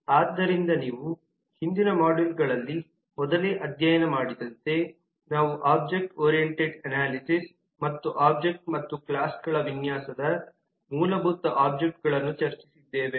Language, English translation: Kannada, so as you have studied earlier in the earlier modules we have discussed the core fundamental items of object oriented analysis and design of the object and classes